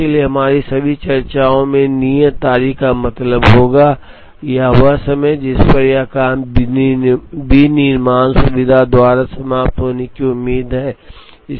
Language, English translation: Hindi, So, in all our discussion due date would simply mean, the time at which this job is expected to be finished by the manufacturing facility